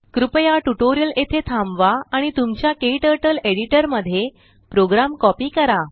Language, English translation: Marathi, Please pause the tutorial here and copy the program into your KTurtle editor